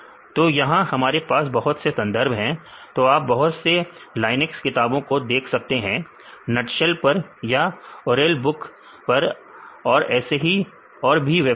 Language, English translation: Hindi, So, we have got more references; so you can check some of these books Linux in a nutshell or the Oreilly’s book and some of these websites